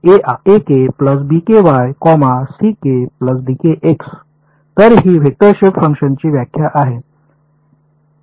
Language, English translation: Marathi, So, this is a definition of vector shape functions